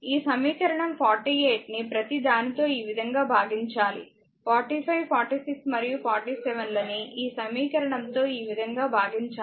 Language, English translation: Telugu, This equation 48 divide by each of 46 like this one, that your equation for your 45 46 and 47 just you divide right